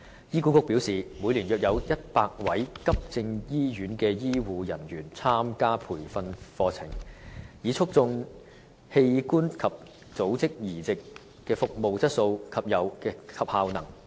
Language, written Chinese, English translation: Cantonese, 醫管局表示，每年約有100位急症醫院的醫護人員參加培訓課程，以促進器官及組織移植的服務質素及效能。, HA states that each year around 100 health care professionals of acute hospitals participate in training courses to enhance the quality and effectiveness of organ and tissue transplantation